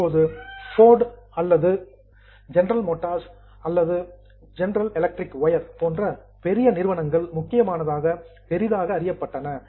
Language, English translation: Tamil, So, large companies like Ford or General Motors or General Electric were big companies